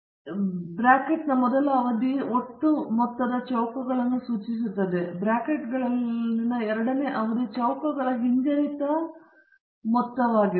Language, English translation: Kannada, And the first term in the bracket refers to total sum of squares, and the second term in the brackets is the regression sum of squares